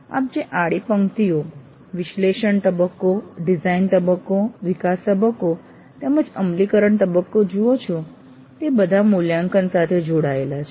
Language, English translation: Gujarati, If you see the horizontal rows, analysis phase, design phase, development phase as well as implement phase, they are all linked to evaluate